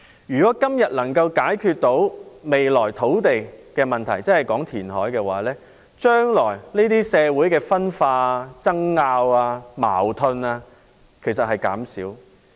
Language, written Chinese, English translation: Cantonese, 如果今天能找到解決未來的土地問題的方法，即填海的話，將來社會的分化、爭拗和矛盾便會減少。, If we can identify ways now to resolve the future land problem ie . reclamation the dissension disputes and conflicts in society will reduce in the future